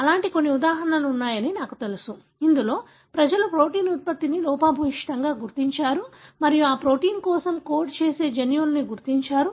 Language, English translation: Telugu, I know there are few such examples, wherein people identified the protein product that is defective and then went on to identify the, the gene that codes for that protein